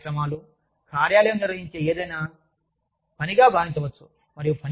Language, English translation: Telugu, Wellness programs, anything organized by the office, is seen as work